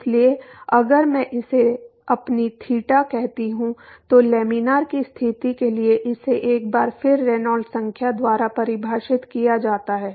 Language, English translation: Hindi, So, if I call this as my theta, for laminar condition once again it defined by the Reynolds number